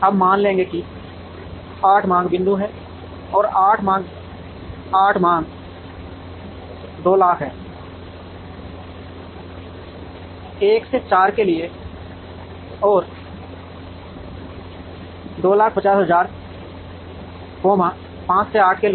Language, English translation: Hindi, Now, will assume that, there are 8 demand points and the demand in 8 are 200000, for 1 to 4 and 250000, for 5 to 8